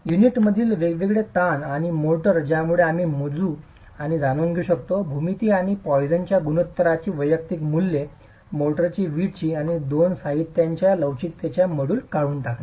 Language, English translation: Marathi, Eliminating the difference stresses in the unit and the motor with aspects that we are able to measure and know the geometry and the individual values of poisons ratio of the mortar, poiseons ratio of the brick brick and the model the moduli of elasticity of the two materials